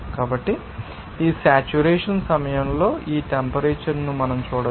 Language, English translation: Telugu, So, we can see that temperature at this point of this saturation